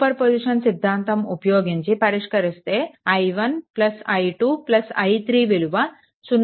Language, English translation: Telugu, If you apply a super position, i 1 plus i 2 plus i 3 it be 0